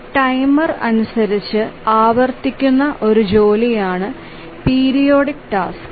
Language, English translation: Malayalam, A periodic task as the name says, the tasks recur according to a timer